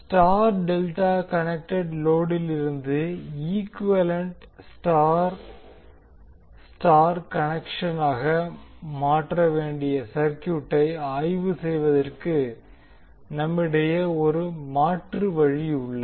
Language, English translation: Tamil, Now there is an alternate way also to analyze the circuit to transform star delta connected load to equivalent star star connection